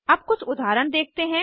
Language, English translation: Hindi, Lets us see some examples now